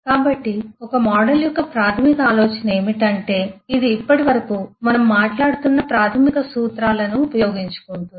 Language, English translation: Telugu, So, the basic idea of a model is that it makes use of the basic principles that we have been talking of so far